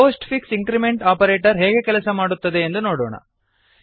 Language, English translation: Kannada, Lets see how the postfix increment operator works